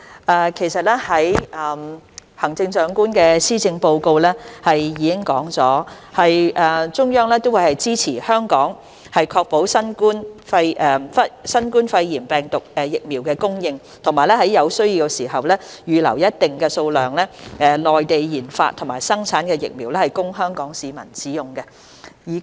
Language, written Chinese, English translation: Cantonese, 代理主席，行政長官在施政報告中指出，中央會支持香港確保新冠疫苗供應，在有需要時，預留一定數量的內地研發或生產的疫苗供香港市民使用。, Deputy President as pointed out by the Chief Executive in her Policy Address the Central Government supports Hong Kong in ensuring the supply of COVID - 19 vaccines and will reserve a certain amount of vaccines developed or produced in the Mainland for use by Hong Kong people when necessary